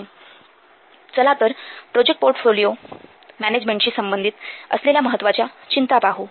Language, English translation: Marathi, Let's see what are the important concerns of project portfolio management